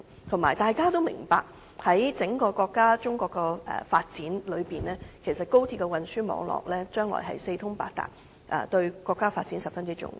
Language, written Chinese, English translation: Cantonese, 再者，大家均明白，從整個國家的發展而言，高鐵的運輸網絡將來會四通八達，對國家的發展十分重要。, Furthermore as we all understand the XRL network will extend in all directions which is essential to national development